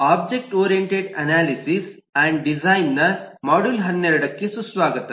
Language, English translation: Kannada, welcome to module 12 of objectoriented analysis and design